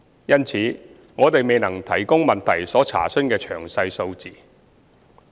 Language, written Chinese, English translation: Cantonese, 因此，我們未能提供質詢所查詢的詳細數字。, Therefore we are not able to provide detailed figures as requested